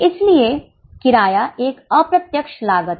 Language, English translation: Hindi, So, rent remains an indirect cost